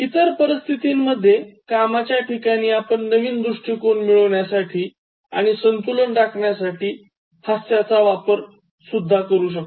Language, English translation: Marathi, In other situations, in workplace, you can use humour to gain new perspective and maintain balance